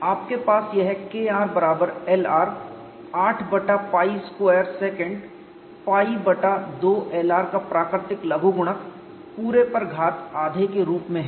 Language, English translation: Hindi, You have this as K r equal to L r 8 by pi square natural logarithm of secant pi by 2 L r whole power minus half based on the yield strip model